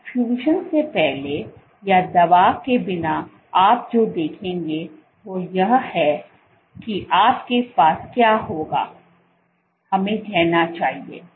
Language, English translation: Hindi, So, before perfusion or without drug what you will see you will have this let us say